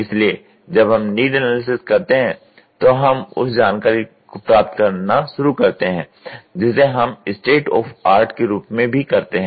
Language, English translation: Hindi, So, what we do is when we do that need analysis are when we start acquiring the information we also do as a state of the art